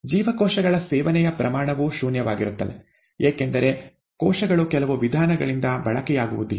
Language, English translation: Kannada, The rate of consumption of cells is also zero because the cells are not getting consumed by some means